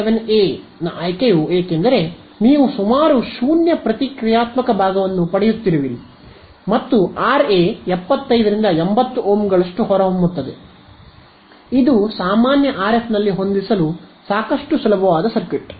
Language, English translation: Kannada, 47 a is I mean why would you choose something like that is because you are getting a reactive part of nearly 0 right and the Ra comes out to be as 75 to 80 Ohms which is easy enough to match in a regular RF circuit